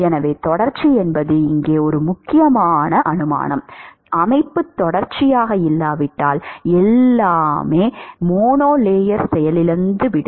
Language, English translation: Tamil, So, continuity is an important assumption here if the system is not continuous, then everything is going to crash right at the monolayer